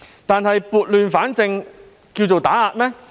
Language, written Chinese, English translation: Cantonese, 然而，撥亂反正是打壓嗎？, But is it a suppression to set things right?